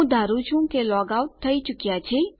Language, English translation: Gujarati, I assume that weve been logged out